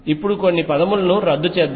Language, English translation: Telugu, Now let us cancel certain terms